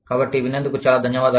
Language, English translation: Telugu, So, thank you very much, for listening